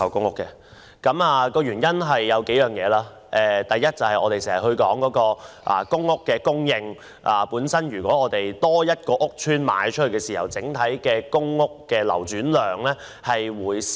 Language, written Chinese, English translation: Cantonese, 我反對的原因如下：第一，我們經常談到公屋供應，假如多一個屋邨可供出售，公屋的整體流轉量便會減少。, The reasons for my opposition are as follows First when it comes to the supply of public housing we always say that for every PRH estate put up for sale the overall turnover of PRH units will decrease